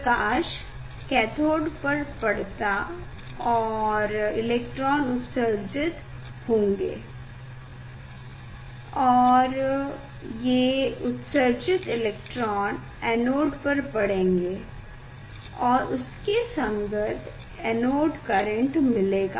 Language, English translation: Hindi, light will fall on the cathode and then electron will emit, and that electron will fall on the anode and corresponding anode current will get